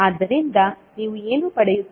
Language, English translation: Kannada, So, what you will get